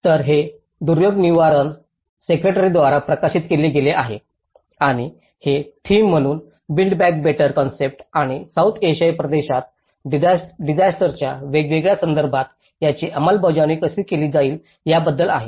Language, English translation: Marathi, So, this has been published by Duryog Nivaran secretariat and this is about the build back better concept as a theme and how it has been implemented in different disaster context in the South Asian region